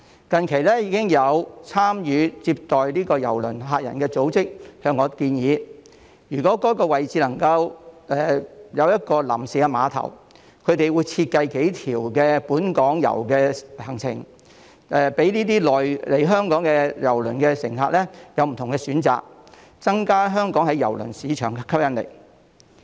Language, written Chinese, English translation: Cantonese, 近期已經有參與接待郵輪乘客的組織向我建議，如果在前述位置能夠設立一個臨時碼頭，他們會設計數條本港遊的路線供來港的郵輪乘客選擇，增加香港在郵輪市場的吸引力。, Recently organizations participating in reception of cruise passengers suggested to me that if a temporary pier could be provided at the aforesaid location they would design several local tour itineraries for cruise passengers coming to Hong Kong to choose from so as to enhance the attractiveness of Hong Kong in the cruise market